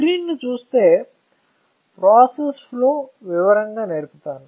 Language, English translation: Telugu, So, I will show you the process flow in detail